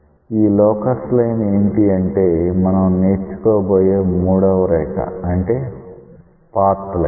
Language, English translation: Telugu, So, what is this locus we introduce a third line which is called as a path line